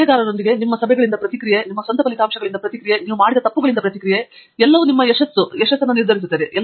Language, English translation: Kannada, Feedback from your meetings with the advisor, feedback from your own results, feedback from the mistakes that you make; everything, even your success gives you a feedback, everything